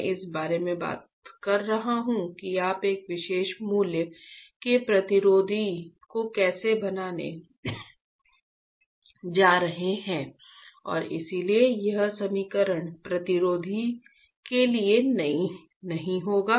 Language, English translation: Hindi, I am talking about how you are going to form a resistor of a particular value and that is why this equation will not hold true for a resistor